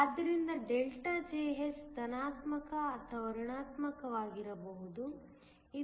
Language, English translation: Kannada, So, delta Jh can be positive or negative